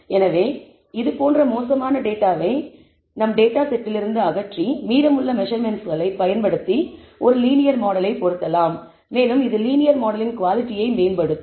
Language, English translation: Tamil, So, we want to remove such bad data from our data set and improve maybe fit a linear model only using the remaining measurements and that will improve the quality of the linear model